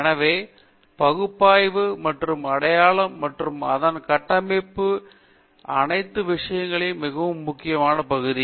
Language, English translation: Tamil, So, the analysis and identification and its structure and all those things are very important area